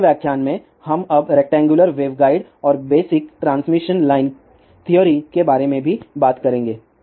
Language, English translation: Hindi, In the next lecture, we will also talk about now rectangular wave guide and basic transmission line theory